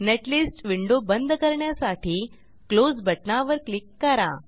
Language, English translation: Marathi, Now close netlist window by clicking on Close button